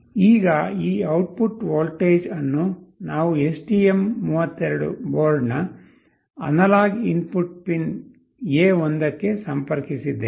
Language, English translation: Kannada, Now this output voltage we have connected to the analog input pin A1 of the STM32 board